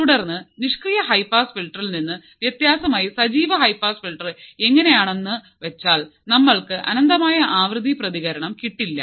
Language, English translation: Malayalam, So, technically there is no such thing and then active high pass filter unlike passive high pass filter we have an infinite frequency response